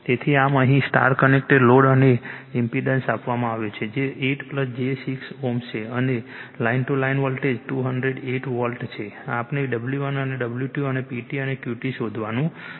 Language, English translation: Gujarati, So, , impedance is given star connected loadthat is 8 plus j 6 ohm and line to line voltage is 208 volt right we have to find out W 1 and W 2 and P T and Q T